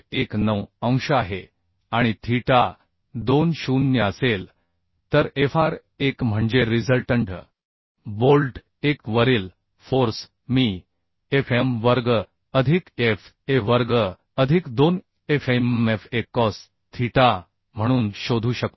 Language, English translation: Marathi, 19 degree and theta 2 will be 0 So Fr1 means resultant force on bolt 1 I can find out as Fm square plus Fa square plus 2FmFa cos theta right so if we put these values will get 0